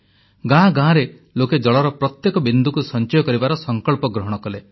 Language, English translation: Odia, People in village after village resolved to accumulate every single drop of rainwater